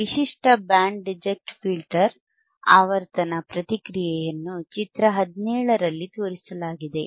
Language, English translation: Kannada, A typical Band Reject Filter, A typical Band Reject Filter frequency response is shown in figure 17